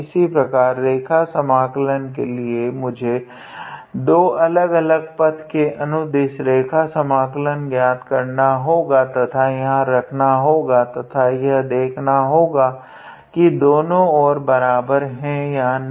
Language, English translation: Hindi, Similarly, for the line integral I had to calculate the line integral along two different paths and substitute here and just see whether the two sides are equal or not